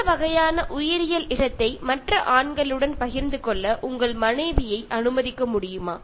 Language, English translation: Tamil, Will you be able to let your wife share this kind of biological space with other men